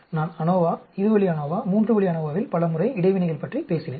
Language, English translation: Tamil, I talked about interactions many times in ANOVA, two way ANOVA, three way ANOVA